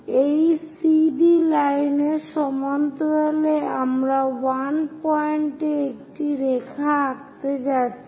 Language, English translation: Bengali, Parallel to this CD line we are going to draw a line at 1